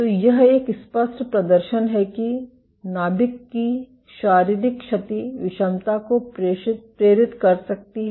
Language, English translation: Hindi, So, this is a clear demonstration that physical damage to the nucleus can induce heterogeneity